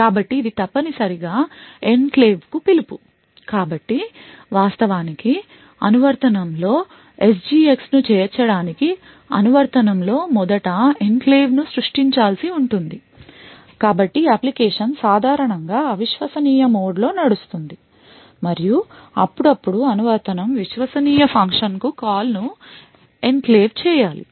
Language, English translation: Telugu, So this essentially is a call to the enclave, so in order to actually incorporate SGX in an application the application would first need to create an enclave so the application would typically run in a untrusted mode and occasionally when there is enclave needs to be called rather than the application needs to call a trusted function